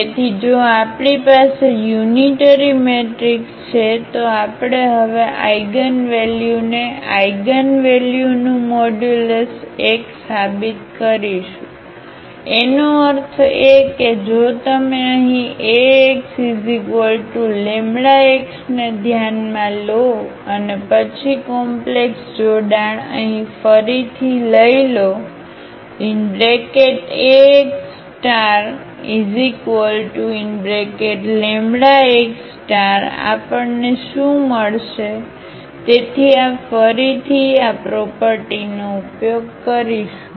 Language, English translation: Gujarati, So, if we have unitary matrix then we will prove now the eigenvalues the modulus of the eigenvalues is 1; that means, if you consider here Ax is equal to lambda x and then taking the complex conjugate here again Ax star is equal to lambda x star what we will get so this again we will use this property